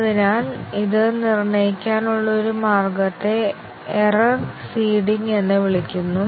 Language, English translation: Malayalam, So, one way to determine it is called as error seeding